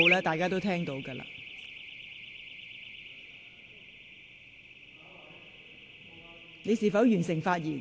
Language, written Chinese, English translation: Cantonese, 大家已聽到你發出的信號。, Members have heard your signal